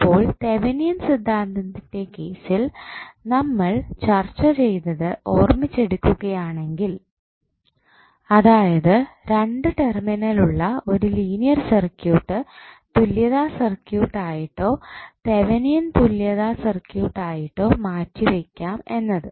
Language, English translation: Malayalam, So, if you recollect what we discussed in case of Thevenin's theorem that the linear two terminal circuit can be replaced with it is equivalent or Thevenin equivalent circuit